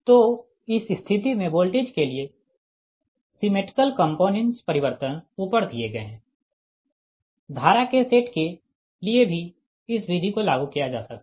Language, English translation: Hindi, so in this case you are the symmetrical component transformation given above for voltages can also be applied